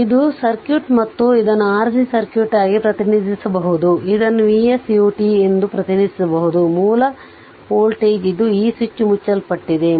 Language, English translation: Kannada, So, this circuit it this is the circuit and this can be represented as this is an RC circuit, this can be represented as that is V s u t that is; source voltage is this is your what you call this switch is closed